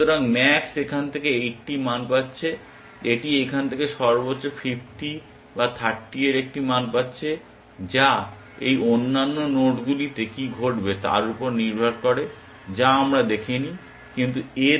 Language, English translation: Bengali, So, max is getting a value of 80 from here it is getting a value of utmost 50 or 30 from here depending on what happens in these other nodes which we have not seen, but utmost the value of 50